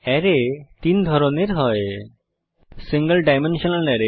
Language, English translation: Bengali, There are three types of arrays: Single dimensional array